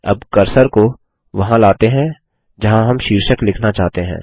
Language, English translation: Hindi, Now let us bring the cursor to where we need to type the heading